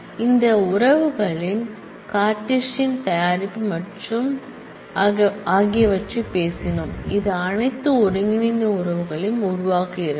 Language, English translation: Tamil, We talked about Cartesian product of 2 relations which make all possible combined relations